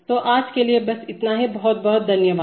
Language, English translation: Hindi, So that is all for today, thank you very much